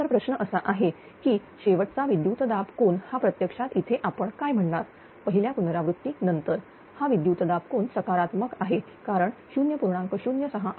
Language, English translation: Marathi, Now, question is that that that last voltage angle it has become actually here in this first ah your what you call after first iteration, this voltage angle become positive because this is 0